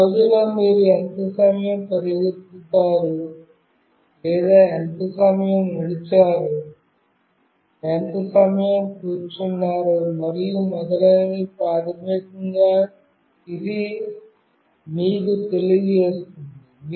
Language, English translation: Telugu, Basically it will tell you that in a day how much time you have run or how much time you have walked, how much time you are sitting and so on